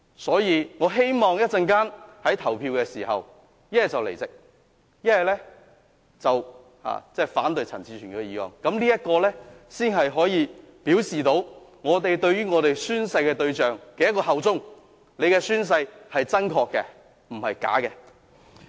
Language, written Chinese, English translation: Cantonese, 所以，我希望稍後投票時，大家要不離席，要不反對陳志全議員的議案，這樣才能表示大家效忠宣誓的對象。大家的宣誓是真確，而不是虛假的。, So when we vote later I hope Members will either leave the Chamber or vote against Mr CHAN Chi - chuens motion so as to show to whom we pledged allegiance that the pledge is truthful and not false